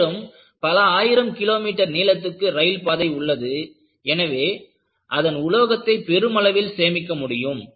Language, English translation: Tamil, And, you have several thousand kilometers of railway line, so, you have enormously saved the material